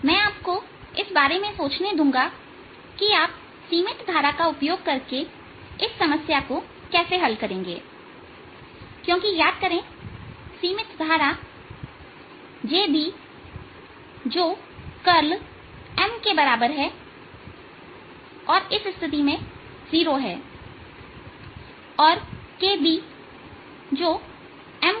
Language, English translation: Hindi, i'll let you think about how would you solve this problem using the bound currents, because, remember, bound currents, j b, which is equal to curl of m, is zero in this case, and k b, which is m cross n, is going to be equal to the surface current